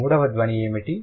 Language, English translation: Telugu, And what is the third sound